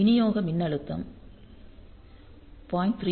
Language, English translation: Tamil, So, the supply voltage is low 0